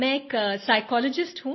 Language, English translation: Hindi, I am a psychologist